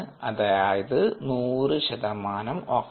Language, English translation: Malayalam, this is hundred percentage oxygen